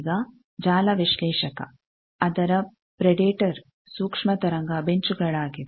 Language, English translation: Kannada, Now, network analyzer it is predator was microwave benches